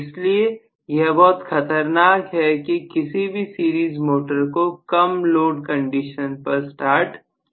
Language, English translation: Hindi, So, generally it is dangerous to start a series motor on light load condition